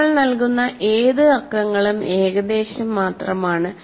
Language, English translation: Malayalam, And once again, any numbers that we give are only indicative